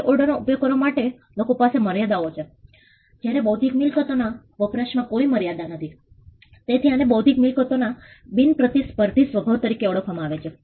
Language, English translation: Gujarati, There are limits to which people can use a room, whereas there are no limits to how an intellectual property can be used, so this is what is referred as the non rivalrous nature of intellectual property